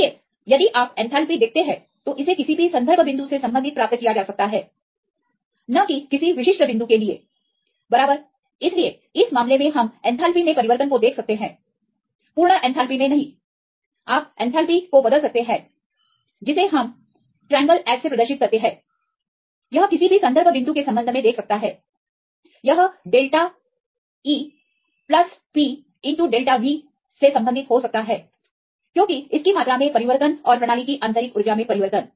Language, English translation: Hindi, So, in this case we can see the change in enthalpy not the absolute enthalpy you can change the enthalpy that is delta H, this can see with respect to any reference point this can be related as delta E plus P into delta V right because its change in volume and change in internal energy of the system